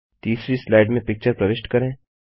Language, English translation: Hindi, Insert a picture on the 3rd slide